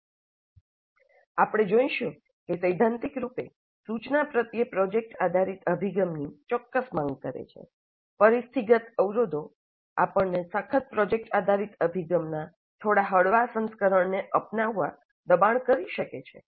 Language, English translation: Gujarati, We'll see that while in principle, in theory, project based approach to instruction makes certain demands, the situational constraints may force us to adopt a slightly lighter version of the rigorous project based approach